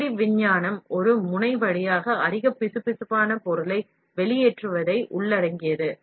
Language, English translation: Tamil, The basic science involves extrusion of highly viscous material through a nozzle